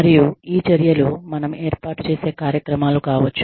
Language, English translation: Telugu, And, these measures can be, the programs, that we institute